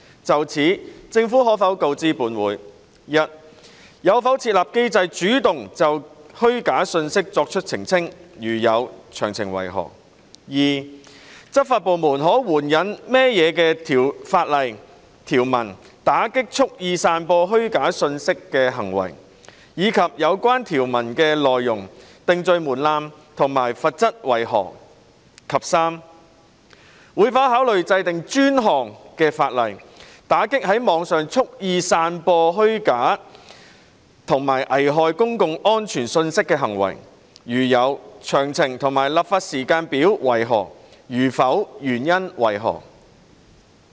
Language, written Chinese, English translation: Cantonese, 就此，政府可否告知本會：一有否設立機制主動就虛假信息作出澄清；如有，詳情為何；二執法部門可援引甚麼法律條文打擊蓄意散播虛假信息的行為，以及有關條文的內容、定罪門檻及罰則為何；及三會否考慮制定專項法例，打擊在網上蓄意散播虛假及危害公共安全信息的行為；如會，詳情及立法時間表為何；如否，原因為何？, In this connection will the Government inform this Council 1 whether it has formulated a mechanism to proactively make clarifications on false information; if so of the details; 2 of the legal provisions that law enforcement agencies may invoke to combat acts of wilfully spreading false information as well as the contents of such provisions the threshold for conviction and the penalties; and 3 whether it will consider enacting dedicated legislation to combat acts of wilfully spreading on the Internet information that is false and prejudicial to public safety; if so of the details and the legislative timetable; if not the reasons for that?